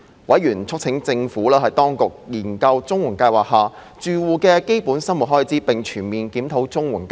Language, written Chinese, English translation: Cantonese, 委員促請政府當局研究綜援計劃下住戶的基本生活開支，並全面檢討綜援計劃。, Members urged the Administration to study the basic living expenses of households under the CSSA Scheme and to conduct a comprehensive review of the CSSA Scheme